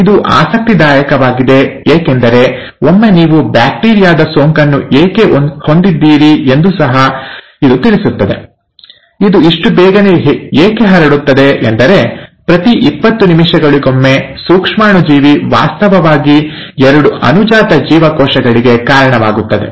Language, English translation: Kannada, Now that's interesting because this should also tell you why once you have a bacterial infection, it just spreads so quickly because every twenty minutes, the microbe is actually giving rise to two daughter cells